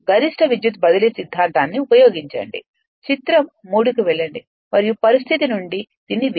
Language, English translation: Telugu, You use maximum power transfer theorem go to figure 3 and from your condition you can make it right